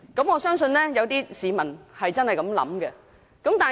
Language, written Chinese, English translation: Cantonese, 我相信有些市民真的有此想法。, I believe some people really have such thoughts